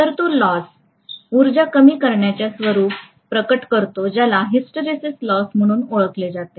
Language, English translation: Marathi, So it is manifested in the form of a loss, energy loss which is known as the hysteresis loss